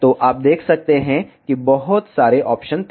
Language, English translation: Hindi, So, you can see there were too many options